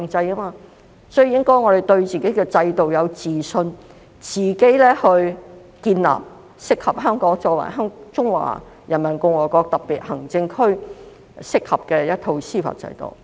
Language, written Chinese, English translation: Cantonese, 所以，我們應該對自己的制度有自信，建立香港作為中華人民共和國特別行政區一套適合的司法制度。, It should develop its own system because we implement one country two systems . Therefore we should have confidence in our own system and develop an judicial system suitable for Hong Kong as a special administrative region of the Peoples Republic of China